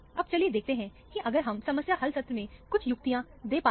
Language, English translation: Hindi, Now, let us see, if we can give you some tips for the problem solving session